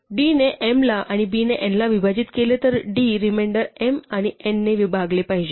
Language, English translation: Marathi, If d divides m and b divides n then d must divide the remainder of m divided by n